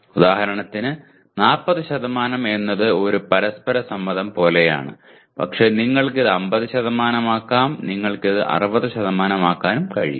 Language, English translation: Malayalam, For example 40% is again something like a mutual consent but you can make it 50%, you can make it 60% as well